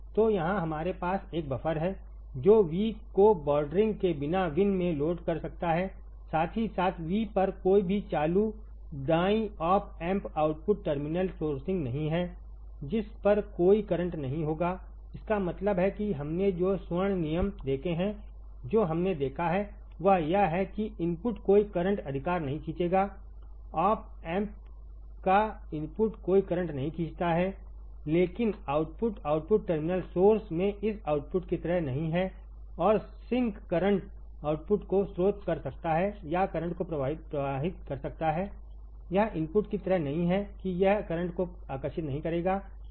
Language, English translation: Hindi, So, here we have is a buffer can apply V into the load without bordering V in with how with any current right op amp output terminal sourcing at V will not like inputs at which will have no current; that means, that what we have seen in the golden rules what we have seen is that the input will draw no current right the input of the op amp draws no current, but the output is not like this output in output terminal source and sinks current at will output can source or sink current at will right, it is not like input that it will not draw current, all right